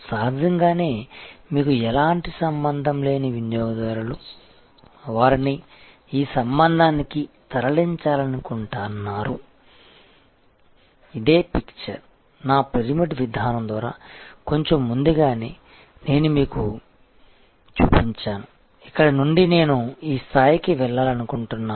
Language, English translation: Telugu, Obviously, the customers who have no relationship you want to move them to this relation, this is the same diagram that I showed you in a little while earlier by my pyramid approach, where from here I want to go to this level